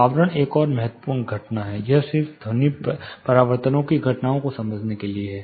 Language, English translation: Hindi, Envelopment is another important phenomena, this is just to understand the phenomena of sound reflections